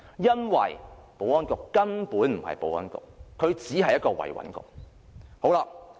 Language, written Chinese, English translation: Cantonese, 因為保安局根本不是保安局，而只是"維穩局"。, It is because the Security Bureau is not a Security Bureau but a stability maintenance bureau